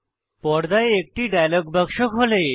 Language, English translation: Bengali, A dialog box opens on the screen